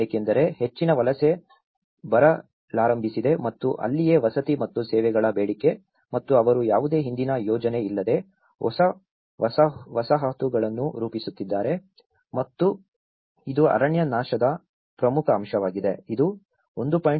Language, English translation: Kannada, Because the more migration has started coming up and that is where the demand of housing and services and which means they are forming new settlements without any previous planning and this is one of the important aspect is deforestation, it says 1